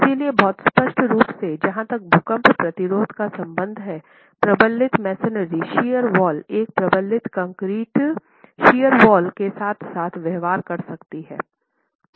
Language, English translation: Hindi, So, very clearly as far as earthquake resistance is concerned a reinforced masonry shear wall can behave as well as a reinforced concrete shear wall